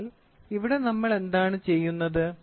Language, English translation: Malayalam, So, here what we do